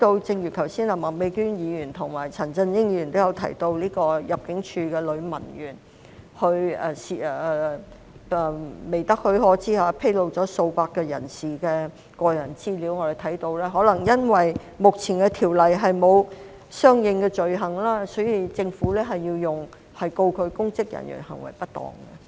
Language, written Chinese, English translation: Cantonese, 正如麥美娟議員和陳振英議員剛才都提到入境處一名女文員在未得許可下，披露了數百位人士的個人資料，我們看到可能由於目前《私隱條例》沒有訂定相應罪行，所以政府要控告她公職人員行為失當。, As both Ms Alice MAK and Mr CHAN Chun - ying mentioned earlier a female clerk of ImmD disclosed the personal data of hundreds of people without authorization . We can see that the Government had to charge her with misconduct in public office probably because there was no corresponding offence under PDPO